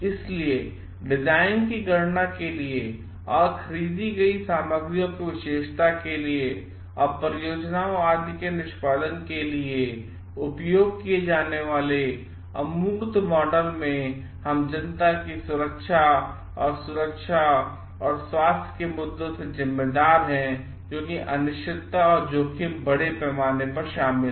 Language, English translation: Hindi, So, in abstract models used for design calculations or in the characteristics of the material purchased and for execution of the projects etc because there is so much of uncertainties and risk involved and because we are responsible for the safety and security and health issues of the public at large,